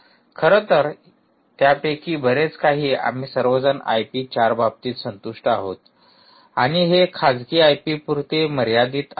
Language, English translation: Marathi, in fact, lot of it is very we are all comfortable with i p four and it is restricted to private i p